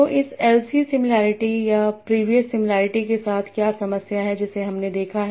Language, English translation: Hindi, So what is the problem with this isisy similarity or the previous similarity that we have seen